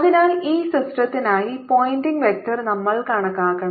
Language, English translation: Malayalam, just we have to calculate the pointing vector for this system